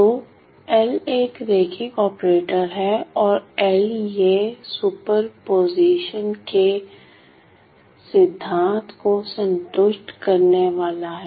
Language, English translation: Hindi, So, L is a linear operator and L well this being and linear operator it is going to satisfy the principle of superposition